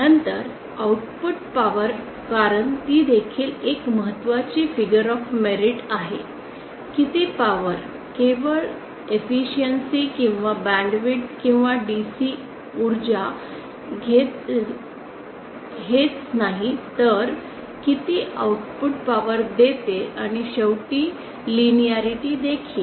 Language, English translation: Marathi, Then output power we may because that is also an important figure of medit, how much power not just the efficiency or the band with or how much DC power it takes but also how much output power it gives and finally the linearity